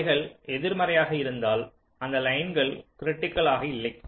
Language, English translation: Tamil, if they come to be negative, those lines have not as critical